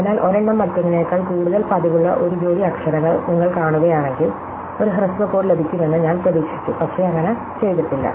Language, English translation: Malayalam, So, if you see a pair of letters which are where one is more frequent than other, I expected to get a shorter code and I had not done so